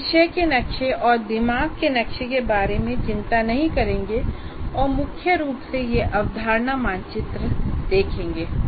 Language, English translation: Hindi, So we will not worry about the topic maps and mind maps and mainly look at concept map here